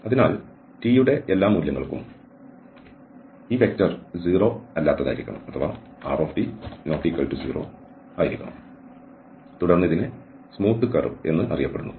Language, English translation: Malayalam, So for all values of t, this vector should be non0 and then the curve is known as smooth